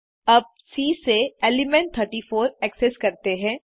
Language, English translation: Hindi, Now, let us access the element 34 from C